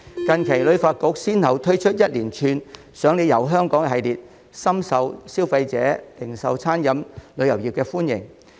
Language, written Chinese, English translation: Cantonese, 近期，旅發局先後推出一連串"賞你遊香港"活動，深受消費者和零售、餐飲及旅遊業界歡迎。, Recently HKTB has introduced a range of activities under the Free Tour programme and they are well - received by consumers as well as the retail catering and tourism sectors